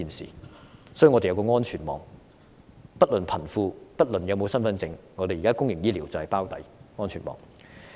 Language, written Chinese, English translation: Cantonese, 所以，我們需要有一個安全網，不論貧富、是否有身份證，現在我們的公營醫療都會"包底"，這就是安全網。, In a nutshell we need to have a safety net with which our public health care system will underwrite the shortfall regardless of whether the beneficiaries are rich or poor and whether they hold an identity card or not